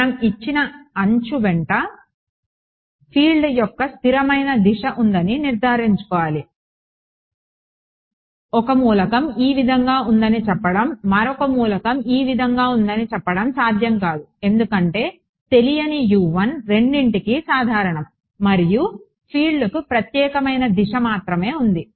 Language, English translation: Telugu, So, we have to make sure that there is a consistent direction of the field along a given edge it cannot be that 1 element is saying this way the other element is saying this way because the unknown U 1 is common to both and there is only a unique direction to the field ok